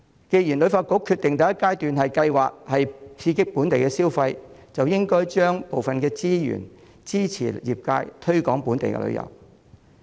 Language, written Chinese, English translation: Cantonese, 既然旅發局決定第一階段的計劃是刺激本地消費，便應該將部分資源支持業界推廣本地旅遊。, Since HKTB has decided to stimulate domestic consumption in the first phase of its plan it should allocate some of the resources to support the industry in promoting local tours